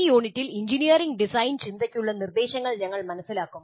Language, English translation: Malayalam, And in this unit, we'll understand instruction for engineering, design thinking